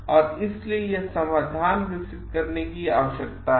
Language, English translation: Hindi, And so, this is or it needs to be developed the solutions